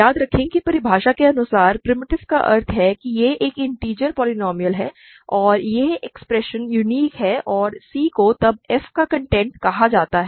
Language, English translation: Hindi, Remember primitive by definition means it is an integer polynomial and this expression is unique and c is then called the content of f